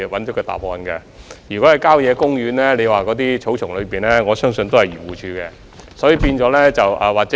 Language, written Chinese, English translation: Cantonese, 如果車輛被棄置在郊野公園的草叢裏，我相信該由漁農自然護理署負責。, For a vehicle abandoned in the grass of a country park I think the Agriculture Fisheries and Conservation Department should be responsible